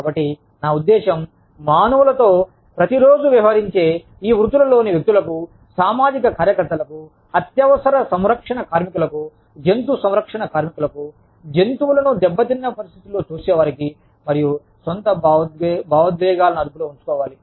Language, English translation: Telugu, So, i mean, hats off, to these professions, to people in these professions, to social workers, to emergency care workers, who deal with human beings, day in and day out, to animal care workers, who see animals in battered conditions, and who have to keep their, own emotions under control